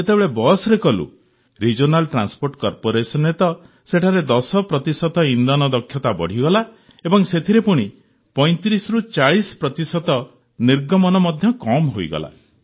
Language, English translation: Odia, When we tested on the Regional Transport Corporation buses, there was an increase in fuel efficiency by 10 percent and the emissions reduced by 35 to 40 percent